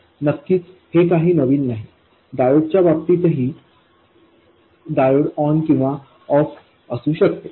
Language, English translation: Marathi, In case of diodes also, the diode could be on or off